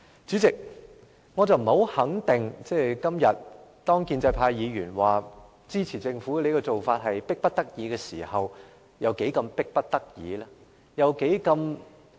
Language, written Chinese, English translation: Cantonese, 主席，建制派議員今天表示會支持政府這種迫不得已的做法，我不太肯定有多麼迫切？, Chairman today pro - establishment Members said that they will support the Governments proposal which should brook no delay . I am not quite sure about the urgency